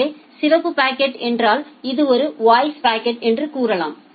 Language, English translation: Tamil, So, red packet means say that this is a voice packet